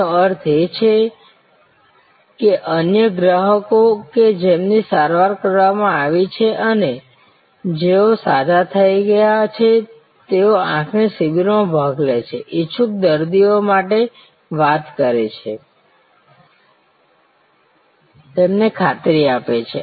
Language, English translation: Gujarati, That means, other customers who have been treated and who have been cured participating in eye camps, talking to intending patients, a swaging them in assuring them